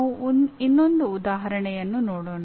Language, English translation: Kannada, We will look at one more example